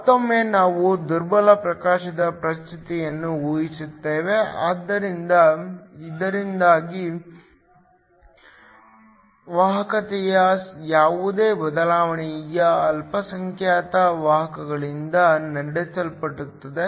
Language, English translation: Kannada, Once again, we are assuming a condition of weak illumination, so that any change in conductivity is driven by the minority carriers